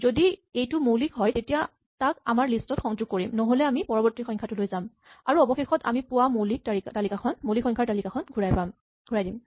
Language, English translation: Assamese, If it is a prime then we append it our list, if not we go to the next one and finally we return the list of primes we have seen